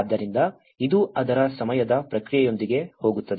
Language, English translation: Kannada, So, this is going with the time process of it